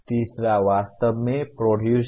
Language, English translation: Hindi, The third one is actually “Produce”